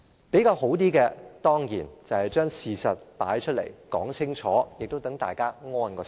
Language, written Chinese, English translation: Cantonese, 比較好的做法，當然把事實擺出來、說清楚，讓大家安心。, It is better of course to reveal all the facts and explain everything thoroughly so as to give everyone peace of mind